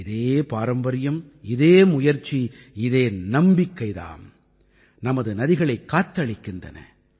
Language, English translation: Tamil, And it is this very tradition, this very endeavour, this very faith that has saved our rivers